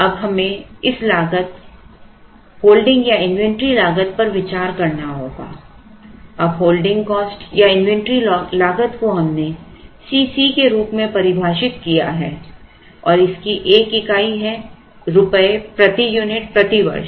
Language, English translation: Hindi, Now, we have to consider this cost holding cost or inventory cost now holding cost or inventory cost is defined as C c and this has a unit called rupees per unit per year